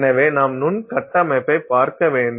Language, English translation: Tamil, So, you have to look at microstructure